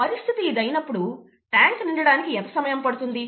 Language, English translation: Telugu, If this is the case, how long would it take to fill the tank